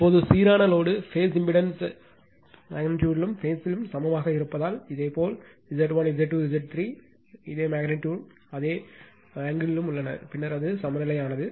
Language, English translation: Tamil, Now, for balanced load phase impedance are equal in magnitude and in phase right that means, your Z 1, Z 2, Z 3 are in this same magnitude and same angle right, then it is balanced